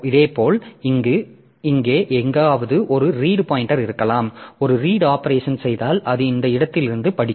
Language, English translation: Tamil, Similarly there is a read pointer maybe somewhere here and if I do a read operation then it will be reading from this location